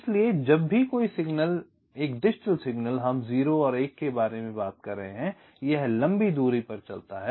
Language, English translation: Hindi, so whenever a signal, a digital signal we are talking about zero one it traverses over long distance